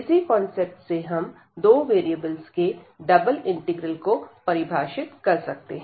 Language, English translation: Hindi, So, similar concept we have for the integral of two variables or the double integrals